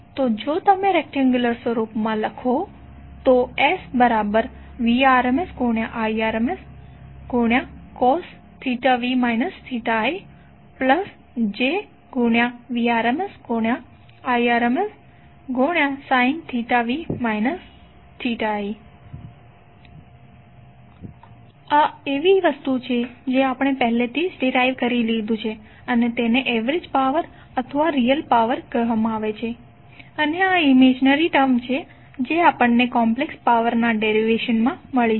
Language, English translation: Gujarati, So if you write into rectangular form the complex power is nothing but Vrms Irms cos theta v minus theta i plus j Vrms Irms sin theta v minus theta i this is something which we have already derived and that is called average power or real power and this is imaginary term which we have got in derivation of the complex power